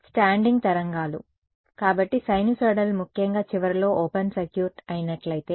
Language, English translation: Telugu, Standing waves right; so, sinusoidal particularly if it is open circuited at the end